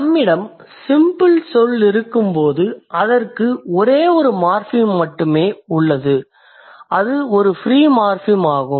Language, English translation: Tamil, So, when we have a simple word, it has only one morphem and that is a free morphem